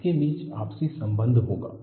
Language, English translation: Hindi, There have to be interrelationship among them